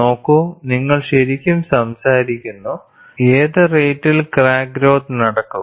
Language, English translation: Malayalam, See, you are really talking about, at what rate the crack would grow